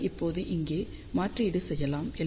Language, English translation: Tamil, So, that can be now substituted over here